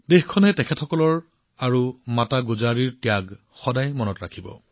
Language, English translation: Assamese, The country will always remember the sacrifice of Sahibzade and Mata Gujri